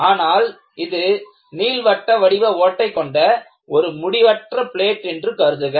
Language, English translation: Tamil, So, imagine that this is an infinite plate with a small elliptical hole